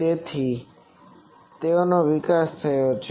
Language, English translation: Gujarati, So they have been developed